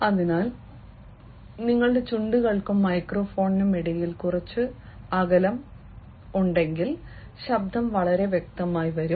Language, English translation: Malayalam, so if a little bit of space is there between your lips and the microphone, the voices will come very clearly